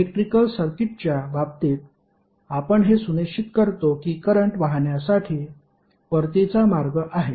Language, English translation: Marathi, While in case of electrical circuit we make sure that there is a return path for current to flow